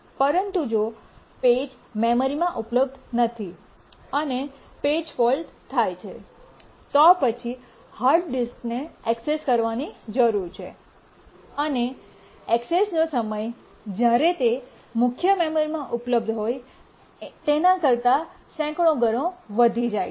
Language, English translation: Gujarati, But if the page is not available on the memory and page fault occurs, then the hard disk needs to be accessed and the access time becomes hundreds of time larger than when it is available in the main memory